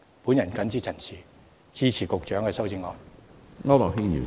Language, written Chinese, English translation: Cantonese, 我謹此陳辭，支持局長的修正案。, With these remarks I support the Secretarys amendments